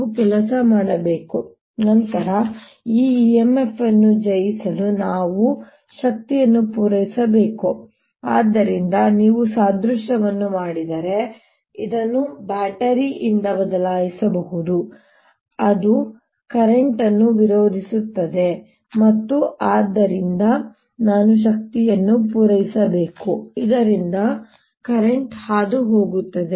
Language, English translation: Kannada, we have to work, then we have to supply energy to overcome this e m, f, so that, if you make an analogy, this can be replaced by a battery which is opposing the current and therefore i have to supply energy so that the current passes through the this battery